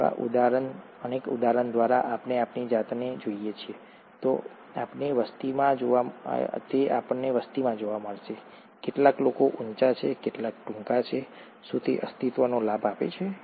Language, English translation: Gujarati, So for example, if we look at ourselves, we would find within the population, some people are tall, some people are shorter, does it provide a survival advantage